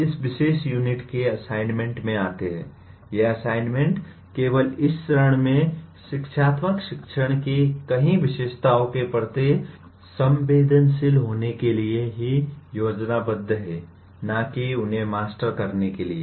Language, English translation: Hindi, Now coming to the assignments of this particular unit, these assignments are planned only to sensitize to the many features of educational teaching not really to master them at this stage